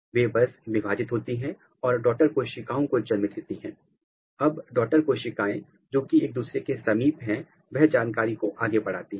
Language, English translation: Hindi, They just divide and give rise the daughter cells, now the daughter cells which are next to each other they pass the information